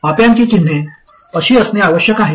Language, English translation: Marathi, The signs of the op amp must be like this